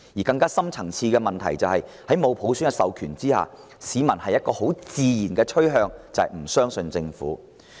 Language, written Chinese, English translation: Cantonese, 更深層次的問題是，在沒有普選授權下，市民自然傾向不相信政府。, The more deep - rooted problem is that without the mandate through election by universal suffrage the public are naturally inclined to distrust the Government